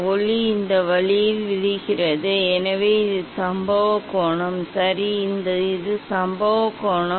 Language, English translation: Tamil, light is falling this way, so this is the incident angle, ok, this is the incident angle